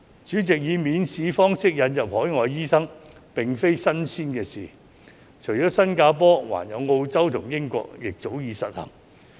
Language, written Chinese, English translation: Cantonese, 主席，以免試方式引入海外醫生並非新鮮事，除了新加坡，澳洲和英國亦早已實行。, President examination - free admission of overseas doctors is nothing new at all . It has been implemented for a long time in Australia and the United Kingdom in addition to Singapore